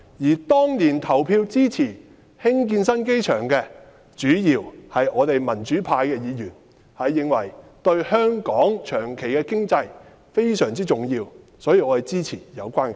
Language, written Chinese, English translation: Cantonese, 而當年投票支持興建新機場的，主要是我們民主派的議員，因為我們認為興建新機場對香港長遠的經濟非常重要，所以支持有關的計劃。, In those years those who voted in support of the construction of the new airport were mainly Members of the pro - democracy camp . Because we considered the construction of the new airport was important to the long - term economic development of Hong Kong therefore we supported the relevant project